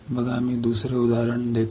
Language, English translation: Marathi, See, I will give another example